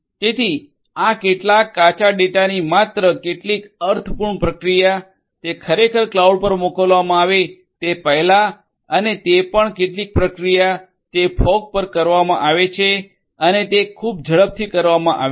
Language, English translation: Gujarati, So, only some meaningful processing of some raw data, before it is actually sent to the cloud and also some processing, that has to be done quite fast will be done at the fog